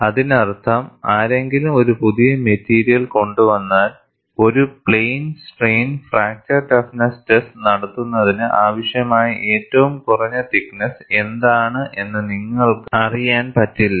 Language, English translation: Malayalam, This is one of the important issues; that means, if somebody comes up with a new material, you will not know, what is the minimum thickness that is necessary for conducting a plane strain fracture toughness test